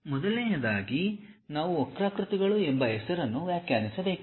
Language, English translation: Kannada, First of all we have to define something named curves